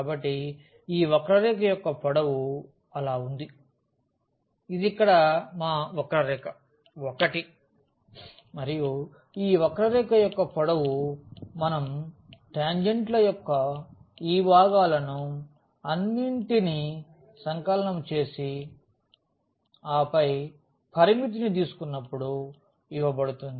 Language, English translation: Telugu, So, length of this curve l which is so, this is our curve l here and the length of this curve l will be given as when we sum all these parts of the tangents and then take the limit